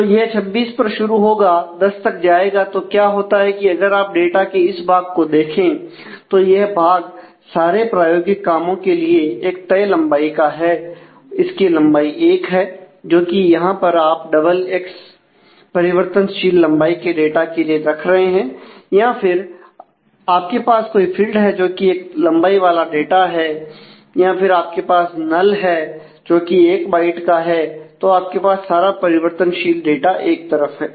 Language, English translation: Hindi, So, this will start to 26 and go for 10 such; so what happens is; if you look into this part of the data, then that part is actually for all practical purposes the fix length 1, because here you are just keeping double x for the variable length data or you have some field which is a fixed length data anyway or you have a null which is stored in one byte, and then you have all the variable stuff at one end